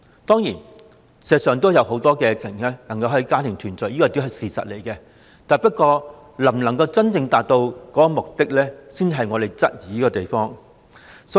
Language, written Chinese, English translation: Cantonese, 當然，事實上也有很多家庭能夠團聚，但審批的安排能否真正達到目的，我們則有所質疑。, Of course many families can actually enjoy family reunion but we doubt whether the arrangement of vetting and approving applications can really achieve the purpose